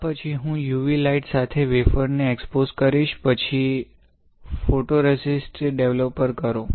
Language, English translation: Gujarati, So, after this I will expose the wafer with UV light; then perform photoresist developer